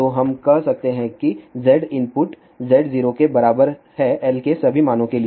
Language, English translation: Hindi, So, we can say Z input is equal to Z 0 for all values of l